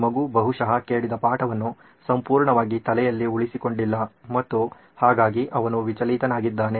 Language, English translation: Kannada, This kid is probably not retaining a whole lot and hence he is distracted